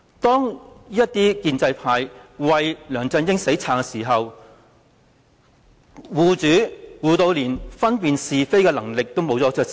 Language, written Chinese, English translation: Cantonese, 建制派為梁振英"死撐"，護主的程度是連分辨是非的能力也盡失。, The pro - establishment camps blind support of LEUNG Chun - ying has reached an extent that it has failed to distinguish right from wrong